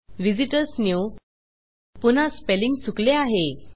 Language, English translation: Marathi, visitors new another spelling mistake